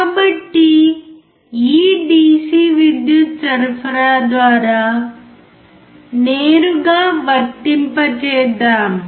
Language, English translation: Telugu, So, let us directly apply through this DC power supply